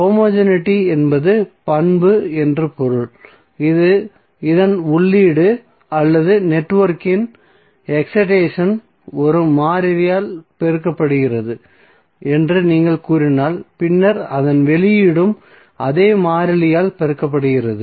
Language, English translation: Tamil, Homogeneity means the property which requires that if the input or you can say that excitation of the network is multiplied by a constant then the output is also multiplied by the same constant